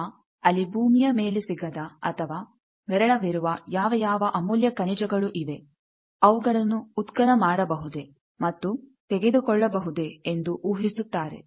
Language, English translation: Kannada, Whether there are various valuable minerals which are not available in earth or which are scarce in earth they also can be extracted and taken